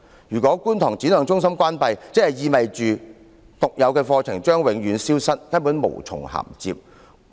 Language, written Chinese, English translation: Cantonese, 如果觀塘展亮中心關閉，就意味着其獨有的課程將會永遠消失，根本無從銜接。, The closure of SSCKT means that its unique curriculum will disappear forever and there is no bridging at all